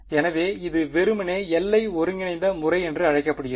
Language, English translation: Tamil, So, its simply called the boundary integral method ok